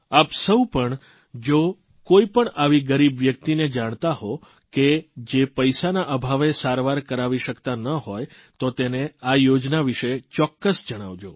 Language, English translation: Gujarati, If you know a poor person who is unable to procure treatment due to lack of money, do inform him about this scheme